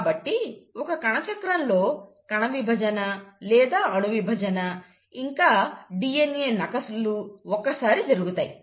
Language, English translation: Telugu, So, in one cell cycle, the cell division or the nuclear division and the DNA replication happens once